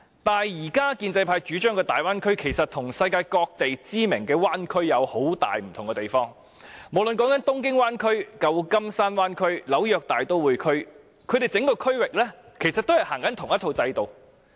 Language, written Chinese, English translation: Cantonese, 但是，現時建制派主張的大灣區其實與世界各地知名的灣區有很大分別。無論是東京灣區、舊金山灣區或紐約大都會區，整個區域皆是實行同一套制度的。, But the Bay Area as currently advocated by the pro - establishment camp actually differs greatly from those well - known bay areas worldwide in the sense that whether speaking of the Tokyo Megalopolis Region the San Francisco Bay Area or the New York metropolitan area the same system is implemented in the whole region . Members can think about this